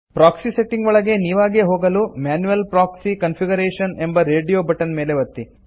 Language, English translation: Kannada, To enter the proxy settings manually, click on Manual proxy configuration radio button